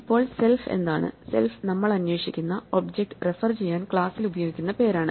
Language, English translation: Malayalam, Now, what is self, self is a name that is used inside the class to refer to the object that we are currently looking at